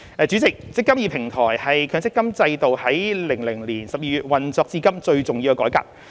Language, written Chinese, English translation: Cantonese, 主席，"積金易"平台是強積金制度於2000年12月運作至今最重要的改革。, President the eMPF Platform is the most important reform of the MPF system since its operation in December 2000